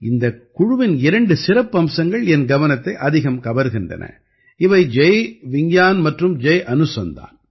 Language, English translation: Tamil, The two great features of this team, which attracted my attention, are these Jai Vigyan and Jai Anusandhan